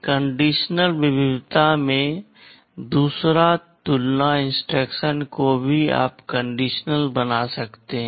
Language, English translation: Hindi, But in the conditional variety, the second compare instruction also you can make conditional